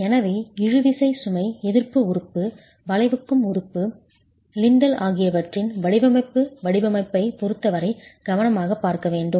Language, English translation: Tamil, So, the design of the tensile load resisting element, the bending element, the lintel has to be looked at carefully as far as the design is concerned